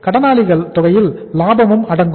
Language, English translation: Tamil, Accounts receivables include the profit also